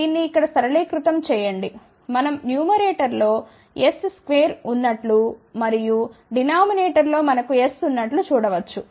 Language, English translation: Telugu, Now, simplify this here we can see that there is a s square in the numerator and in the denominator we have S